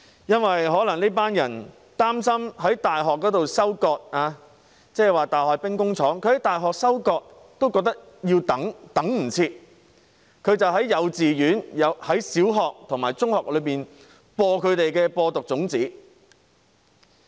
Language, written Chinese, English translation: Cantonese, 這些人把大學當作兵工廠，在大學收割都等不及，於是便在幼稚園、小學和中學裏散播毒種子。, These people cannot even wait for reaping what they have sown in universities which they treat as arsenals and thus they have hastened to sow poisonous seeds in kindergartens primary and secondary schools